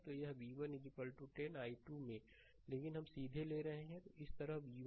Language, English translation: Hindi, So, v 1 is equal to 10 into i 2, but we are taking directly directly, this v 1 like this, right